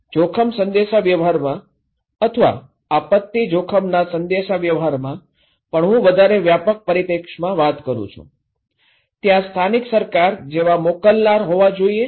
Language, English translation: Gujarati, So, one in risk communication or in even in disaster risk communications, I am talking in a more, broader perspective, there should be one sender like local government okay